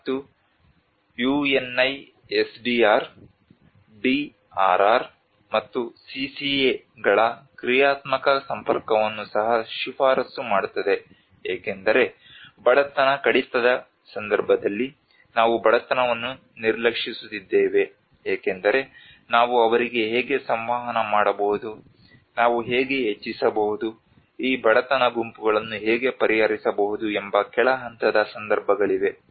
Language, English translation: Kannada, And UNISDR also recommends the functional linking of DRR and CCA Within the context of poverty reduction because we are ignoring that poverty has to because there is a bottom level situations how we can actually communicate to them, how we can increase, how can address this poverty groups, who are the marginalized groups who are often affected by the disasters